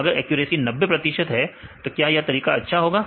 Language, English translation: Hindi, So, in this case the accuracy is 90 percent this method is good